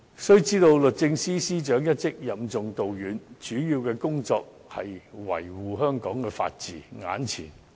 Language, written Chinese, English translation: Cantonese, 須知道，律政司司長一職任重道遠，主要工作應是維護香港法治。, One should understand that the Secretary for Justice has to shoulder heavy responsibilities and the most important duty is to uphold the rule of law in Hong Kong